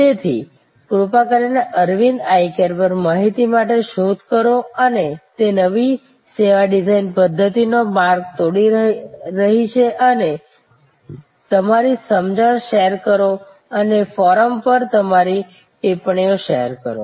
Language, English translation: Gujarati, So, please do search for information on Aravind Eye Care and they are path breaking new service design methodologies and share your understanding and share your comments on the forum